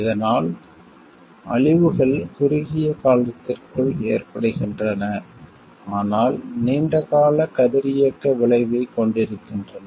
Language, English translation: Tamil, So, destructions caused within a short time, but having a long lasting radiological effect